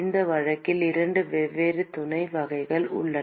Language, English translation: Tamil, There are two different sub types in this case